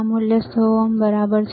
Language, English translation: Gujarati, The value is 100 ohm right